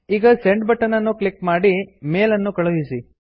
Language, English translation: Kannada, Now, to send the mail, simply click on the Send button